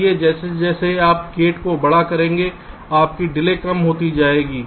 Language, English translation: Hindi, so as you make the gates larger, your delays will become less